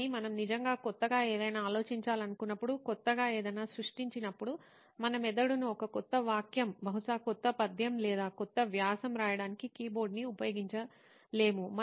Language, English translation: Telugu, but when we actually want to think something new, create something new, put our brain into that thing we cannot use a keyboard to actually write a new sentence, maybe and you poem, or a new article